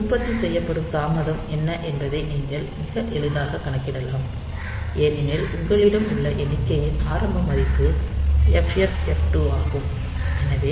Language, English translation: Tamil, So, you can also very easily calculate what is the delay that is produced, because the count value that you have is the initial value is FFF 2